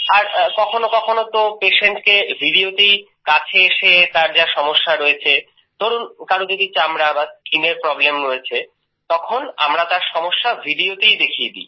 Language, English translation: Bengali, And sometimes, by coming close to the patient in the video itself, the problems he is facing, if someone has a skin problem, then he shows us through the video itself